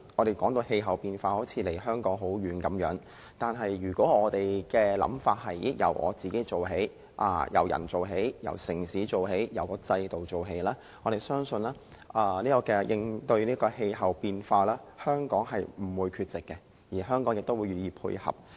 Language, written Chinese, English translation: Cantonese, 談應對氣候變化好像離我們很遠，但如果我們由自己做起，由個人、由城市及由制度做起，相信應對氣候變化，香港不會缺席並願意配合。, Tackling climate change seems to be a far - fetched topic to us but I believe we can initiate changes in ourselves our city and our system to achieve this objective . Hong Kong should not withdraw itself from participating and we would like to cooperate